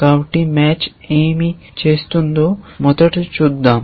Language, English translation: Telugu, So, let us first see what is match is doing